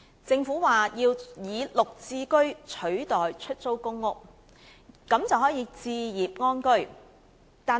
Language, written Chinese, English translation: Cantonese, 政府表示要以"綠置居"取代出租公屋，這樣市民便可以置業安居。, The Government has indicated its wish to replace PRH with GSH thereby enabling members of the public to buy their own homes